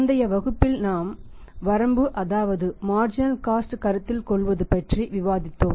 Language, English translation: Tamil, And we have discussed in the previous class the first limitation that is of the marginal cost consideration